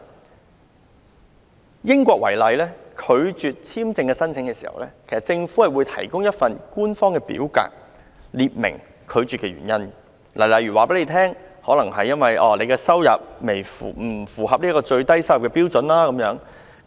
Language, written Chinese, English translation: Cantonese, 以英國為例，當地政府如拒絕簽證申請，會提供一份官方表格列明拒絕的理由，例如告訴申請人其收入未符合最低標準等。, In the case of the United Kingdom the Government will issue an official statement to the visa applicant to state the reasons for visa refusal such as failure to meet the minimum income requirement